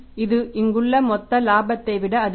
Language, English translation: Tamil, So, it is much more than the gross profit we have here